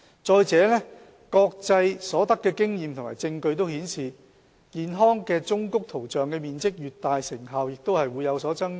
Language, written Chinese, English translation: Cantonese, 再者，國際所得的經驗和證據均顯示，健康忠告圖像的面積越大，成效也會有所增加。, Moreover international experience and evidence have demonstrated that the effectiveness of graphic health warnings increases with their prominence